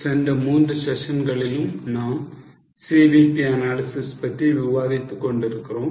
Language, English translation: Tamil, In last three sessions about CVP analysis